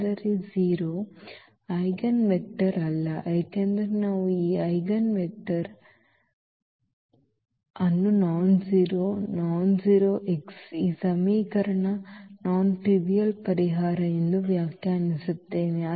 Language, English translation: Kannada, But, 0 is not the eigenvector because the eigenvector we define as the nonzero, nonzero x the non trivial solution of this equation